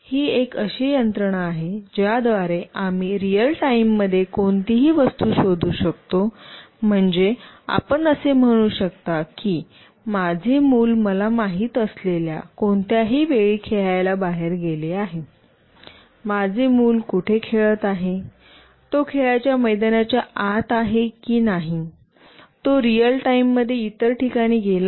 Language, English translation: Marathi, It is a mechanism by which we can locate any object in real time, meaning let us say my kid has went out for playing at any point of the time I want to know, where my kid is playing, whether he is inside the playground or he has moved out to some other place in real time